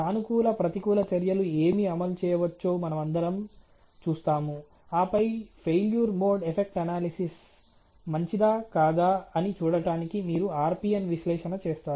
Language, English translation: Telugu, And then we will see what positive counter measures can be implemented, and then again do the RPN analyses to see is the failure mode effect analysis good or bad ok